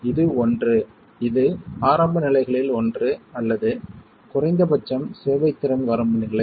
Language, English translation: Tamil, It is only one of the initial states or at least a serviceability limit state